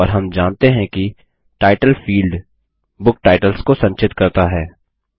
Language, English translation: Hindi, And we know that the title field stores the book titles